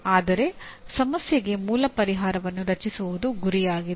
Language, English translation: Kannada, But the goal is to create an original solution for a problem